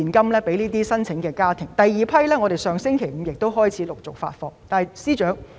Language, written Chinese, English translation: Cantonese, 至於第二批申請，我們亦已在上星期五開始陸續發放現金。, As for the second batch of applications we also started disbursing cash to the households concerned since last Friday